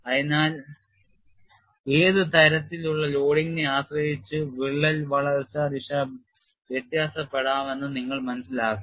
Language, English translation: Malayalam, So, you have to realize depending on the kind of loading, the crack growth direction can define